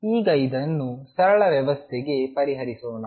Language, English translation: Kannada, Now let us solve this for a simple system